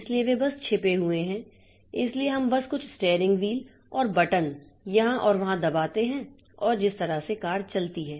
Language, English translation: Hindi, So, we just see a few steering wheels and buttons here and there to press and that way the car moves